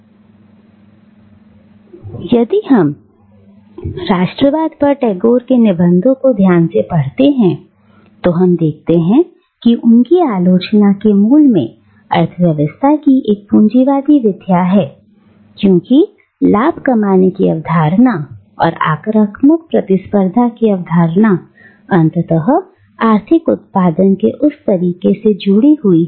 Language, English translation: Hindi, Now, if we carefully read Tagore’s essays on nationalism, we will see that at the core of his criticism is a capitalist mode of economy because both the concept of profit making and the concept of aggressive competitiveness are ultimately associated with that mode of economic production, isn’t it